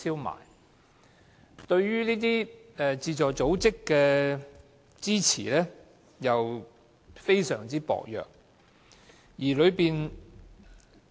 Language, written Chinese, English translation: Cantonese, 基金對於互助組織的支援，同樣非常薄弱。, The funding that the Fund offers to support groups is also minimal